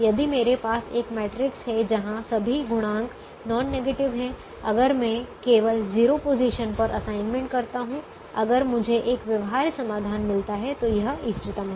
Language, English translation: Hindi, if i have a matrix where all the coefficients are non negative, if i make assignments only in zero positions, if i get a feasible solution, then it is optimum the way i get the zero positions